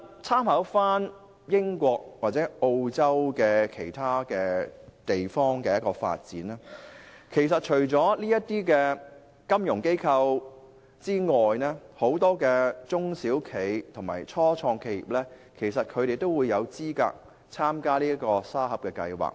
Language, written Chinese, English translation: Cantonese, 參考英國及澳洲等地的經驗，我們會發現，當地除了金融機構外，很多中小企及初創企業亦有資格參與沙盒計劃。, However in the United Kingdom and Australia Sandboxes are available not only to financial institutions but also various small and medium - sized enterprises SMEs and start - up companies